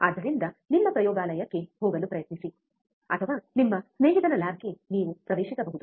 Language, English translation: Kannada, So, try to go to your laboratory, or you can access your friend's lab, right